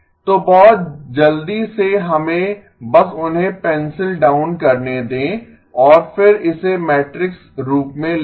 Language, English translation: Hindi, So very quickly let us just pencil them down and then write it in matrix form